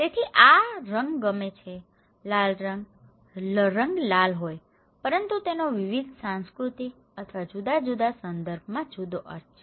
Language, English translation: Gujarati, so, also like this colour; red colour, the colour is red but it has different meaning in different cultural or different context